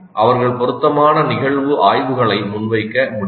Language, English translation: Tamil, They can present suitable case studies